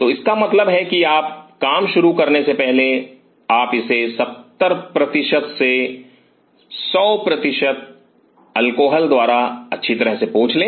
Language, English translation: Hindi, So, it means before you start the work you wipe it with alcohol properly thoroughly 70 percent to 100 percent alcohol